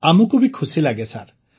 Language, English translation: Odia, We also get satisfaction sir